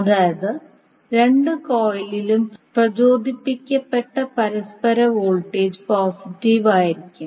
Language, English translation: Malayalam, That means the mutual voltage which induced is in either of the coil will be positive